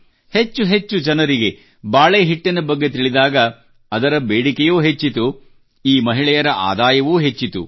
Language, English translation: Kannada, When more people came to know about the banana flour, its demand also increased and so did the income of these women